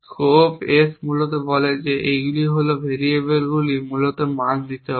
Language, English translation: Bengali, The scope S basically says that these are the variables to be giving value essentially